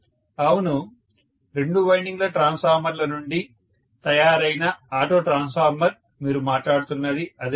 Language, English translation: Telugu, Yes, Auto transformer that is made from two winding transformers, right that is what you are talking about